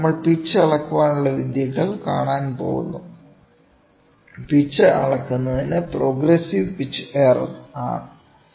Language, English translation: Malayalam, Then we are going to see the pitch measurement techniques, pitch measure of pitch is done by progressive pitch error